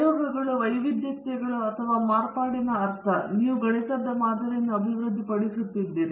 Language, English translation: Kannada, Experiments means variations or variability and you are developing the mathematical model